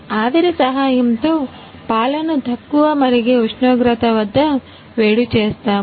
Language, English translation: Telugu, With the help of steam we heat the milk at the lower boiling temperature